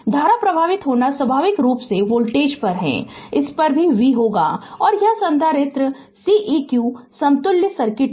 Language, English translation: Hindi, So, naturally ah only current flowing is i naturally voltage across this also will be v right and this capacitor is Ceq equivalent circuit